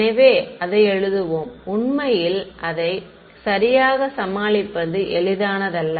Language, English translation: Tamil, So, let us write it actually need not be it is easy to deal with it right